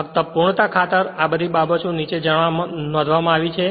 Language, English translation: Gujarati, Just for the sake of completeness all this things are noted down right